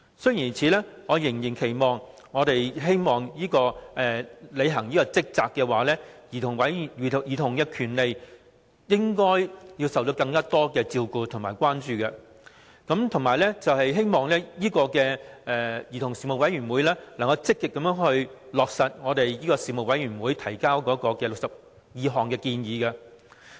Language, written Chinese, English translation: Cantonese, 雖然如此，我仍然期望委員會能認真履行職責，因為兒童權利應受更多照顧及關注，並希望兒童事務委員會能積極落實小組委員會報告提出的62項建議。, In spite of this I still hope that the Commission can perform its duties conscientiously because childrens rights should receive greater attention and concern . I also hope that the Commission can actively implement the 62 recommendations made by the Subcommittee